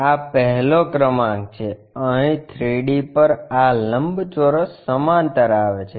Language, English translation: Gujarati, This is the one, at 3D this rectangle is parallel